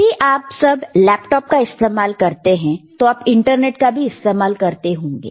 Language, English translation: Hindi, So, if you have all of you use laptop, all of you use internet